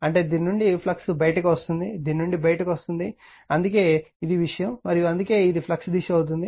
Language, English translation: Telugu, That means flux is your what you call coming out from this this is coming out for this that is why this is the thing and that is why this way this is the direction of the flux